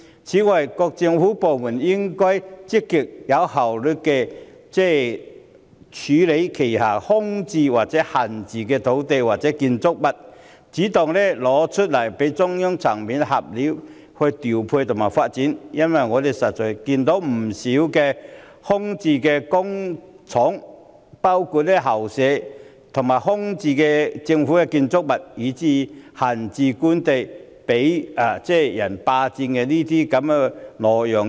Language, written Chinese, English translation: Cantonese, 此外，各政府部門應該積極及有效率地處理手上空置或閒置的土地和建築物，主動交出再由中央層面作調配和發展，因為我們實在看到不少空置工廈和校舍、空置政府建築物，以至閒置官地被人霸佔或挪用。, In addition various Government departments should deal with the vacant or idle land and buildings in their possession proactively and efficiently . It should also take the initiative to hand them over for deployment and development at the central level . We can indeed see that quite a number of vacant industrial buildings and school premises vacant Government buildings as well as idle government land have been occupied or embezzled without permission